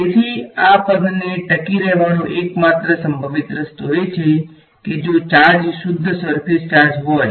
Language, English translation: Gujarati, So, the only possible way for this term to survive is if the charge is a pure surface charge